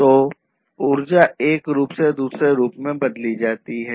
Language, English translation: Hindi, So, one form of energy is transformed to another form of energy